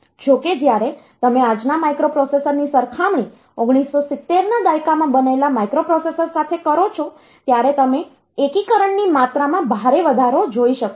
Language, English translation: Gujarati, However you can say that comparing at today’s microprocessors to the once built in 1970s, you can find an extreme increase in the amount of integration